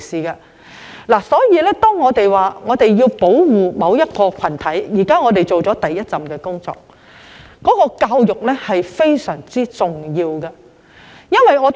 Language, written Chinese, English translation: Cantonese, 因此，如果我們要保護某個群體，現在只是完成了第一步工作，教育也是非常重要的。, Therefore if we seek to protect a certain group of people what we have done is only the first step . Education is also very important